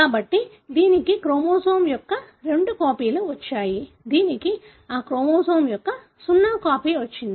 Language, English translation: Telugu, So, it has got two copies of chromosome, this has got zero copy of that chromosome